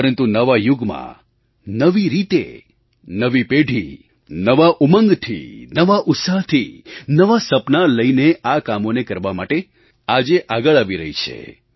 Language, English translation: Gujarati, But, in this new era, the new generation is coming forward in a new way with a fresh vigour and spirit to fulfill their new dream